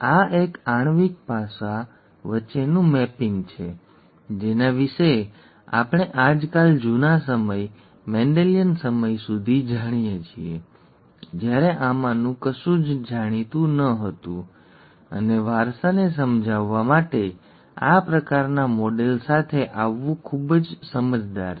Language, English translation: Gujarati, This is the mapping between a molecular aspect that we know of nowadays to the olden times, the Mendelian times, when nothing of this was known, and it is very insightful to come up with this kind of a model to explain inheritance